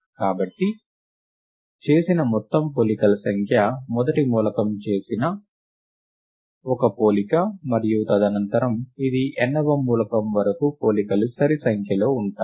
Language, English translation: Telugu, Therefore, the total number of comparisons made, is one comparison for the first element, and subsequently it is an even number of comparisons up to the nth element right